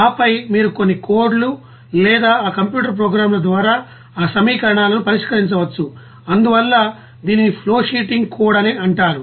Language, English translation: Telugu, And then you can solve those equations by you know of some codes or by you know that computer programs, so it will be called as flowsheeting code